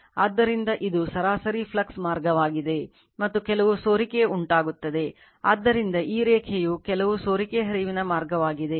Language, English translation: Kannada, So, this is the mean flux path, and there will be some leakage so, this line also so some leakage flux path right